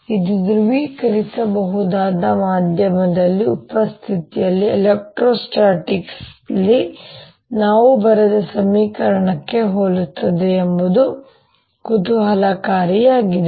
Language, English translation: Kannada, it's interesting that this is very similar to equation we wrote in electrostatics in presence of polarizable medium